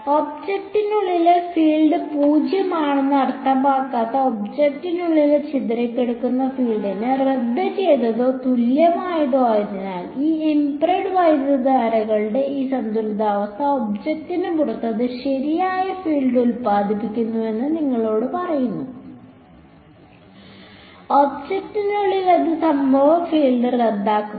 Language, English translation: Malayalam, Cancelled or equal to the scattered field inside the object that does not mean that the field inside is 0, it just tells you that this balance of these impressed currents as they called is such that outside the object it produces the correct field; inside the object it cancels the incident field